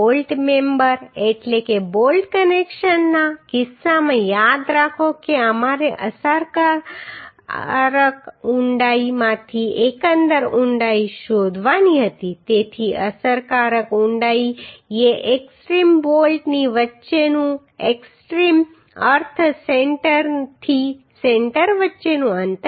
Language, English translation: Gujarati, Remember in case of bolt member means bolt connections we had to find out overall depth from the effective depth so effective depth is the distance between extreme means centre to centre distance between extreme bolts right